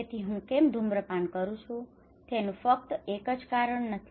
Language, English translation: Gujarati, So why I am smoking is not that only because of one reason